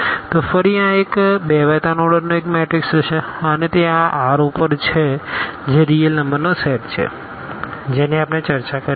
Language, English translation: Gujarati, So, this will be again a matrix of order 2 by 3 and this is also over this R set of real numbers we are talking about